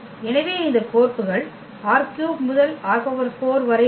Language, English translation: Tamil, So, this maps from R 3 to R 4